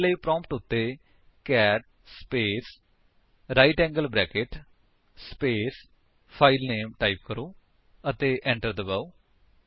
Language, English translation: Punjabi, For this, type at the prompt: cat space right angle bracket space filename say file1 and press Enter